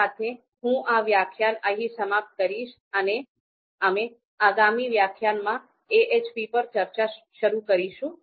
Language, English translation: Gujarati, So with this, I end this lecture and in the next lecture we will start our discussion with AHP